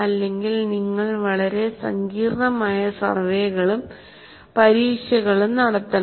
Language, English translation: Malayalam, Otherwise, you have to do very complicated surveys and tests